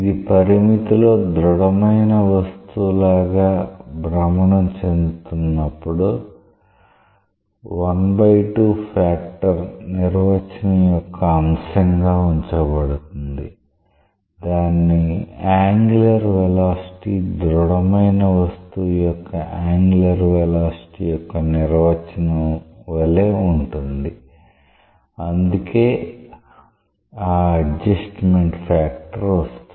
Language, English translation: Telugu, This half factor is put as a matter of definition to ensure that in the limit when it is like a rotating like a rigid body the; its angular velocity is same as the definition of the angular velocity of a rigid body that is why that adjustment factor comes